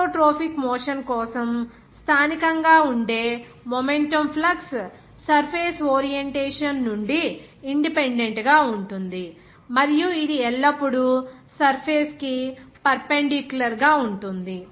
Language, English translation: Telugu, For isotropic motion, the momentum flux which is locally is independent of the orientation of the surface and also it will always be perpendicular to the surface